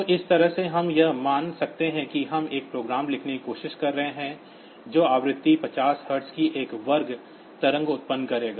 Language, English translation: Hindi, So, this way we can calculate it suppose we are trying to write a program that will generate a square wave of frequency 50 hertz